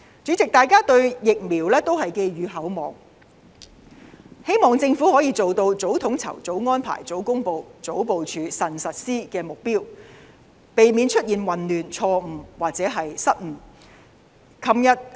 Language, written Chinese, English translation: Cantonese, 主席，大家對疫苗寄予厚望，希望政府可以做到早統籌、早安排、早公布、早部署、慎實施的目標，避免出現混亂、錯誤或失誤。, President people hold high expectations for the vaccines as we hope the Government will expedite the coordination deployment announcement and prudent implementation of the vaccination arrangement as early as possible with a view to avoiding any chaos mistakes or blunders